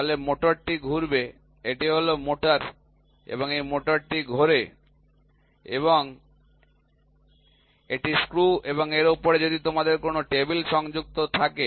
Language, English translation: Bengali, So, the motor rotates, right this is this is a motor this motor rotates and this is the screw and on top of it if you have a table which is attached